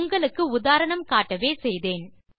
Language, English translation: Tamil, But I was just giving you an example